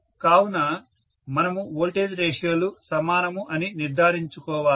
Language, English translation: Telugu, Right So, we have to make sure that voltage ratios are the same